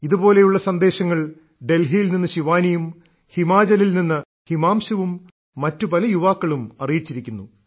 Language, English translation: Malayalam, Similar messages have been sent by Shivani from Delhi, Himanshu from Himachal and many other youths